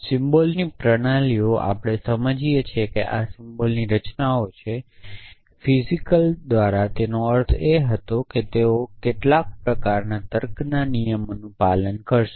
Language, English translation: Gujarati, So, symbol systems of first we understand these are structures of symbols by physical what they meant was that they obey some kind of laws of reasoning